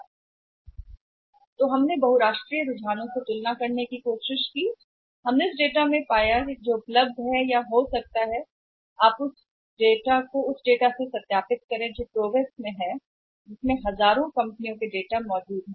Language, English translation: Hindi, So, and then we tried to compare with the International trends, so we have found from the data which is available or maybe you can also verify it by just resorting into the database PROWESS database where the thousands of companies data is there